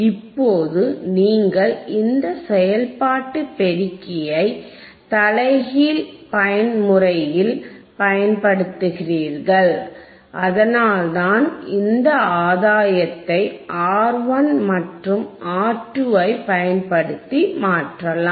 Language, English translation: Tamil, So nNow, you are using this operational amplifier in an inverting mode inverting mode that, which is why the gain of this can be changed by using R 1 and R 2 this by changing this you can change the gain alright